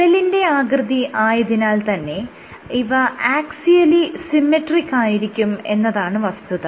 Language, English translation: Malayalam, So, because it is the pipe it is axial axially symmetric